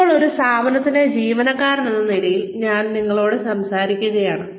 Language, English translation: Malayalam, Now, I am talking to you, as an employee of an organization